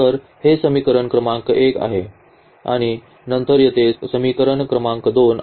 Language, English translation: Marathi, So, this is equation number 1 and then we have an equation number 2 here